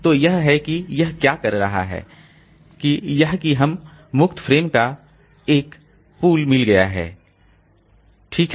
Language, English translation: Hindi, So it, what it is doing is that it is, we have got a pool of free frames, okay, so that pool that we are talking about